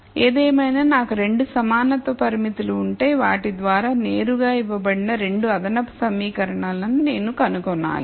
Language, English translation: Telugu, Nonetheless if I had 2 equality constraints I need to find the 2 extra equations which are directly given by the constraints